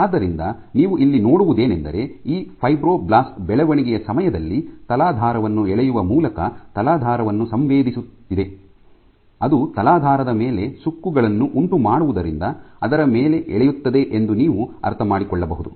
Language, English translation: Kannada, So, what you see as a function of time this fibroblast is sensing the substrate by actually pulling on it, you can understand it pulls on it because it induces wrinkles on the substrate